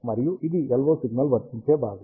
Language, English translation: Telugu, And this is the part, where the LO signal is applied